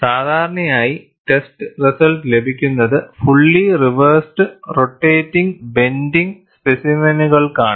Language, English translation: Malayalam, And usually, the test results are available for fully reversed rotating bending specimen